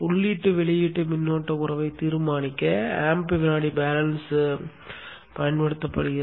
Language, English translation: Tamil, The AM second balance is used to determine the input of current relationship